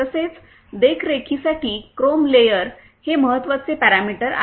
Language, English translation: Marathi, Also, the chrome layer is important parameter to maintain